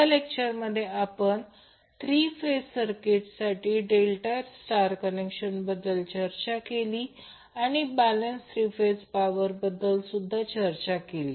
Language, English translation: Marathi, In this session we discussed about the last combination that is delta star combination for the three phase circuit and also discussed about the balanced three phase power